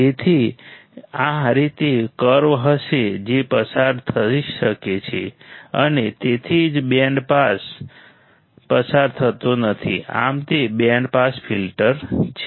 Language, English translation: Gujarati, So, it will be bend like this that can pass and that is why the band is not passed, thus there it is a band pass filter